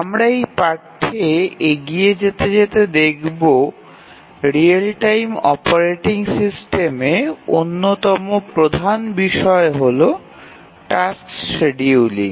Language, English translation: Bengali, Actually as we proceed with this course we will see that one of the major issues in real time operating system is tasks scheduling